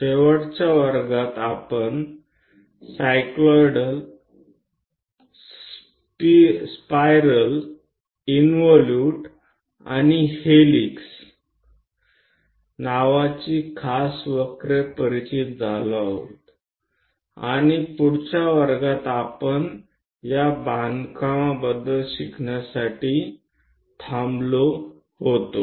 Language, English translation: Marathi, In the last class, we have introduced the special curves, namely cycloid, a spiral, an involute and a helix and we stopped to learn about these construction in the next class